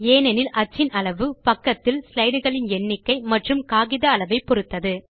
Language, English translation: Tamil, This is because the size of the print is determined by the number of slides in the sheet and size of the sheet